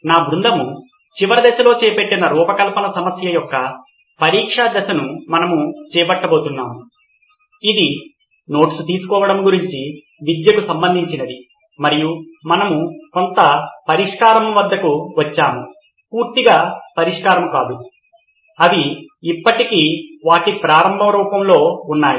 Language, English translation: Telugu, We are going to do the testing phase of the design problem that my team took up in the last phase, which was related to education about note taking and we arrived at a solution some, not solution in its entirety, they still in its raw form